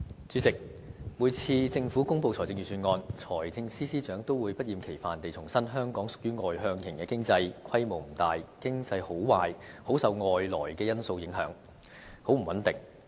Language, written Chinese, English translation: Cantonese, 主席，每次政府公布財政預算案時，財政司司長都會不厭其煩地重申香港屬於外向型經濟，規模不大，經濟好壞很受外來因素影響，非常不穩定。, President each time when the Government publishes the Budget the Financial Secretary will repeat that Hong Kong is an open economy not having a big size and its economic performance is not stable at all owning to its exposure to external factors